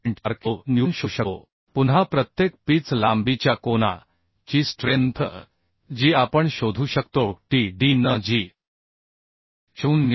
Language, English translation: Marathi, 4 kilonewton again the strength of angle per pitch length that also we can find out Tdn that will be as 0